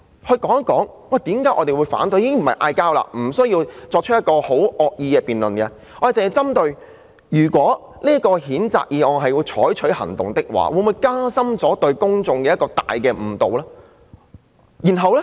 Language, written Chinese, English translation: Cantonese, 大家不是對罵，也不需要惡意的辯論，只是針對一旦要對這項譴責議案採取行動，會否造成對公眾的嚴重誤導。, We are not engaging in a war of words or a vicious debate . It is just a question of whether the public will be seriously misled if action is taken on this censure motion